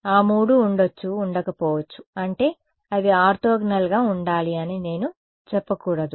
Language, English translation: Telugu, Those three may or may not be, I mean, they should be orthogonal I should not say